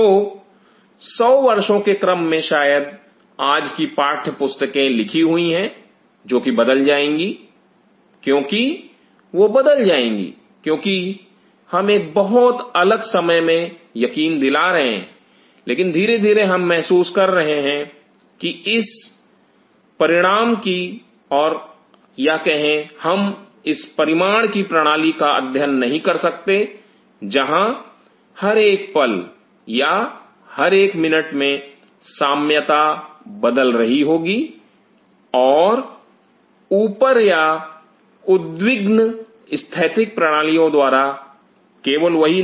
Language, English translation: Hindi, So, 100 years round the line probably the way today's text books are written those will change because, those will change because we are assuring into a very in different time, but slowly we are realizing that we cannot study a system of this magnitude where every second or every minute the milieu is getting fresh and up or getting perturbed by static systems, not only that